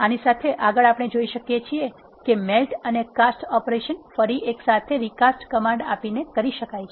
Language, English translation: Gujarati, Next with this, we can see that melt and cast operations can be done together using the recast command